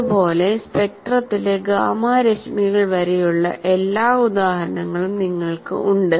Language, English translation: Malayalam, And like that you have examples of all the way up to gamma rays